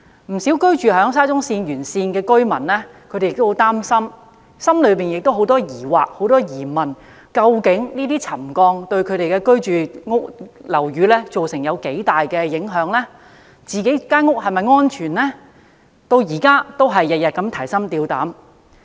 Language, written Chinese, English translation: Cantonese, 不少居住在沙中線沿線的居民也很擔心，內心充滿疑問，擔心這些沉降會否對他們居住的樓宇造成影響，他們的樓宇是否安全等，他們至今仍然每天提心吊膽。, Many residents living along the alignment of SCL are extremely worried and they are full of doubts . They are always on tenterhooks worried about whether ground settlement would affect the buildings in which they are living and the safety of their buildings